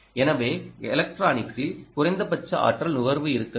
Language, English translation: Tamil, so the electronic itself should be least energy consuming